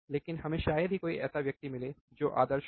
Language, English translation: Hindi, But we rarely find a person who has who is ideal, right